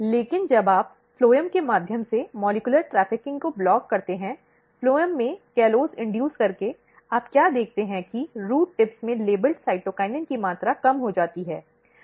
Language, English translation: Hindi, But when you block molecular trafficking through the phloem, by inducing callose in the phloem, what you see that the amount of labelled cytokinin in the root tips are decreased